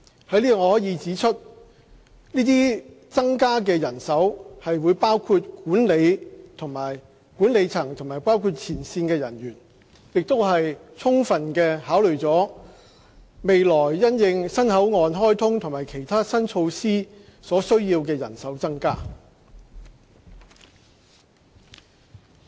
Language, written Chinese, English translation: Cantonese, 在此我可以指出，這些增加的人手會包括管理層和前線人員，亦充分考慮了未來因應新口岸開通和其他新措施所需要的人手增加。, I should point out that the increase in manpower will include management and frontline personnel and we have taken into full consideration the future manpower need for the commissioning of new border control points and other relevant facilities